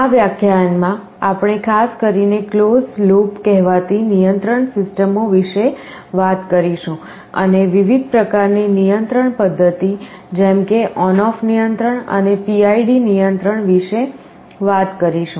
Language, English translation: Gujarati, In this lecture, we shall be talking particularly about something called closed loop control systems, and the different kinds of controlling mechanism like ON OFF control and PID control